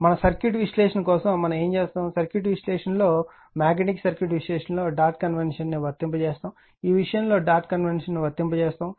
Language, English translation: Telugu, But for our circuit analysis what we will do we will apply the dot convention in circuit analysis, in our magnetic circuit analysis or this thing will apply that dot convention right